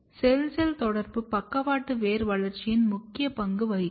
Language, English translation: Tamil, Cell to cell communication has also been shown to play important role in lateral root development